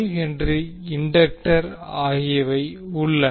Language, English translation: Tamil, 5 and Henry inductor